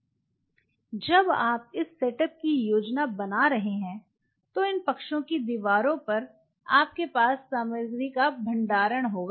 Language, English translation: Hindi, While you are planning this setup on the walls of these sides you will have storage of materials